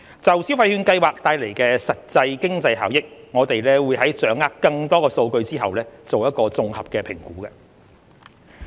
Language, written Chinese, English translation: Cantonese, 就消費券計劃帶來的實際經濟效益，我們會在掌握更多數據後作綜合評估。, Regarding the actual economic benefits to be brought about by the Scheme we will make a comprehensive assessment after gathering more data